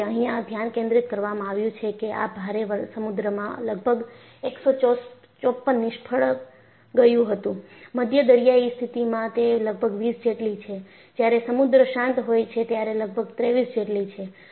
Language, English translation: Gujarati, Because, the focus here is, there were failures in heavy seas about 154, in moderate sea condition it is about 20, when the sea is calm, it is about 23